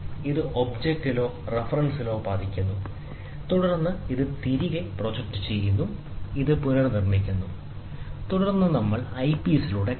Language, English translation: Malayalam, So, it goes hits at the object or at reference, and then this gets projected back, this is reconstructed, and then we watch it through the eyepiece